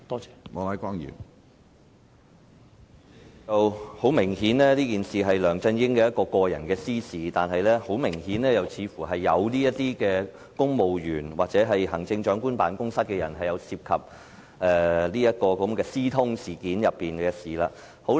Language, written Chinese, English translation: Cantonese, 主席，很明顯，這事件是梁振英的私事，但又很明顯，似乎有公務員或行政長官辦公室的官員涉及這件私通事件中的事情。, President obviously the incident involves LEUNG Chun - yings private business . But then also very obviously some civil servants or officials of the Chief Executives Office were involved in this collusion incident